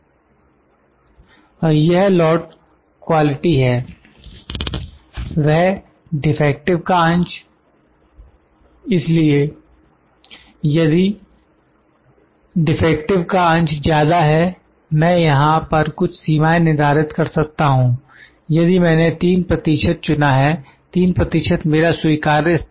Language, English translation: Hindi, And this is Lot quality that the fraction of defective so, if the fraction of defectives of more I can set a few limits here though this if I am selected 3 percent, 3 percent I have put it my acceptance level